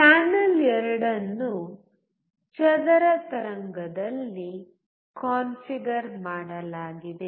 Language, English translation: Kannada, Channel 2 is configured in square wave